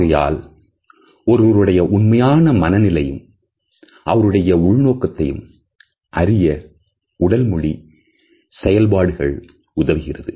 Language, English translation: Tamil, So, these signals of body language help us to understand the true personality and the true intention of a person